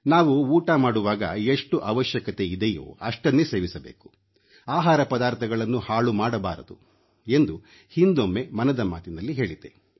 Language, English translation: Kannada, And, in one episode of Mann Ki Baat I had said that while having our food, we must also be conscious of consuming only as much as we need and see to it that there is no wastage